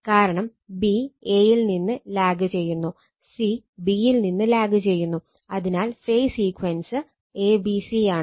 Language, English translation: Malayalam, So, because b lags from a, c lags from b, so phase sequence is a b c right